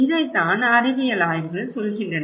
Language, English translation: Tamil, This is what the scientific studies are saying